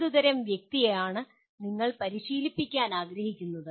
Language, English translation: Malayalam, What kind of person you want to train for